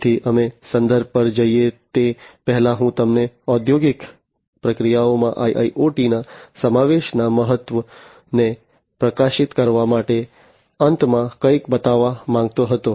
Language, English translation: Gujarati, So, before we go to the references, I wanted to show you something at the end to highlight the importance of the incorporation of IIOT in the industrial processes